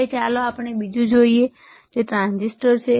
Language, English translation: Gujarati, Now, let us see the another one which is the transistor